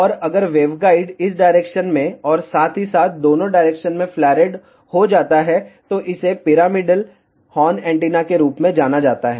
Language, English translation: Hindi, And if the waveguide is flared in both the directions in this as well as this, it is known as pyramidal horn antenna